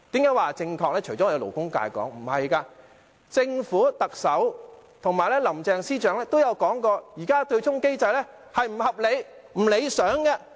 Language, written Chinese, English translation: Cantonese, 因為除了我們勞工界提出，政府、特首及林鄭司長均說過，現時的對沖機制並不合理、不理想。, Because apart from us in the labour sector the Government the Chief Executive and Chief Secretary Carrie LAM have also said that the existing offsetting mechanism is unreasonable and undesirable